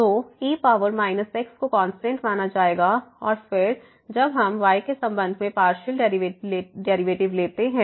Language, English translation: Hindi, So, power minus will be treated as constant and then, when we take the partial derivative with respect to